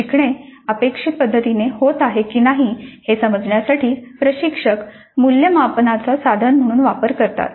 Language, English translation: Marathi, So the instructor is actually using the assessment as a tool to see if learning is happening in the intended way